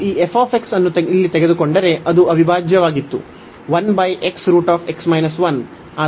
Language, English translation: Kannada, So, if we take this f x here, which was the integral